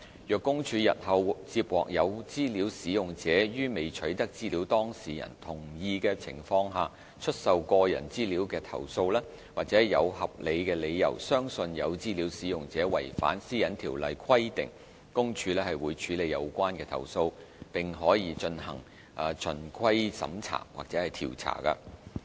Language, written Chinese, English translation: Cantonese, 若公署日後接獲有資料使用者於未取得資料當事人同意的情況下出售個人資料的投訴，或有合理理由相信有資料使用者違反上述條例規定，公署會處理有關投訴，亦可進行循規審查或調查。, If PCPD receives complaints in the future about data users selling personal data without prior consent from the data subjects or if it has reasonable grounds to believe there is a breach of the requirements under PDPO PCPD will handle the complaints and may conduct compliance checks or investigations